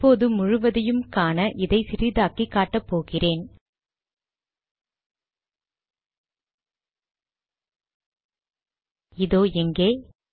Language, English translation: Tamil, Now what I will do is I will make this smaller so that you can see all of it